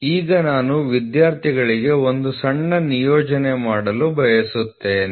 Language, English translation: Kannada, So, now I would like to give a small assignment for the students, ok